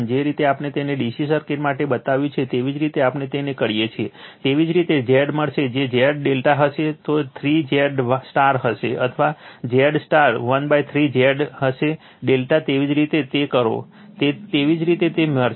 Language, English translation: Gujarati, The way we have made it for DC circuit, same way we do it; you will get Z if Z delta is will be 3 Z Y right or Z Y will be 1 by 3 Z delta same way you do it, you will get it right